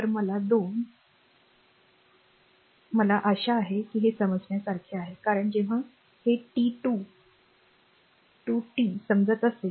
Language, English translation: Marathi, So, 2 I hope it is understandable to you because when you are understanding this t 0 to t